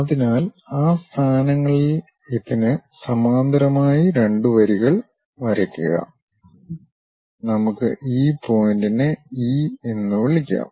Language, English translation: Malayalam, So, at those locations draw two lines parallel to this one, let us call this point as something E